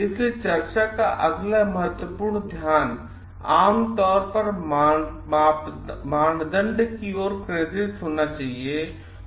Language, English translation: Hindi, So, the next important focus of the discussion should generally be focused towards the criteria